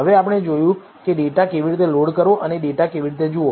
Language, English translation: Gujarati, Now, we have seen how to load the data and how to view the data